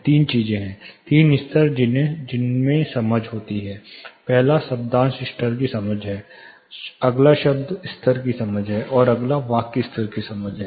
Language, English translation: Hindi, There are 3 things 3 levels in which understanding happens; first is the syllable level understanding, next is a word level understanding, and next is a sentence level understanding